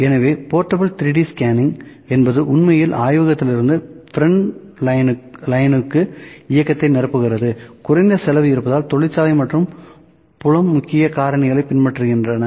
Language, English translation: Tamil, So, portable 3D scanning is actually filling the movement from laboratory to the front lines, factory and field, followed by key factors and because there are low cost